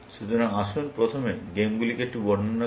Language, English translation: Bengali, So, let us first characterize the games a little bit